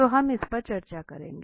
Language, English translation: Hindi, Now let us look at it here